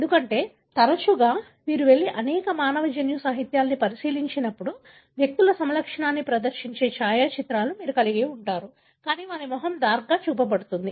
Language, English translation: Telugu, Because, often when you go and, and look into many of human genetic literatures, you would have photographs displaying a phenotype of individuals, but their face will be darkened